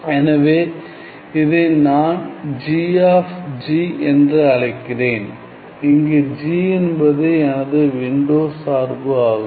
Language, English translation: Tamil, So, let, let me call this as g of g, where g is my this window function